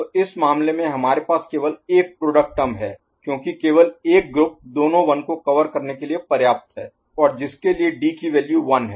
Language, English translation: Hindi, So, in this case we have only one particular product term coming out of this because, only one group is sufficient to cover both the 1s right and for which D is remaining with a value, D is having a value 1 right